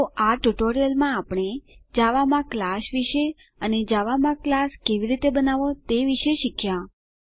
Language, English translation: Gujarati, So, in this tutorial we learnt about a class in java and how to create a class in java